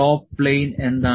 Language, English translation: Malayalam, What is the top plane